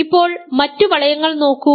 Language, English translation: Malayalam, So, now, look at other rings ok